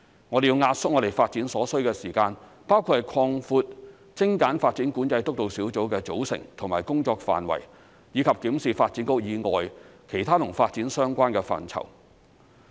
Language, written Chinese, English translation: Cantonese, 我們要壓縮發展所需時間，包括擴闊精簡發展管制督導小組的組成和工作範圍，以及檢視發展局以外其他與發展相關的範疇。, We have to compress the development schedule which includes expanding the composition and remit of the Steering Group on Streamlining Development Control and reviewing other development - related areas outside DB